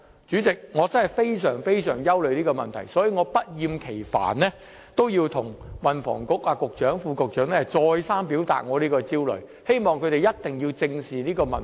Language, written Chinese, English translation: Cantonese, 主席，我真的非常憂慮這問題，所以我不厭其煩地向運輸及房屋局局長和副局長再三表達我這個焦慮，希望他們一定要正視這問題。, President I am really worried about this issue so I have time and again expressed my concern to the Secretary for Transport and Housing and the Under Secretary in the hope that they will take this issue seriously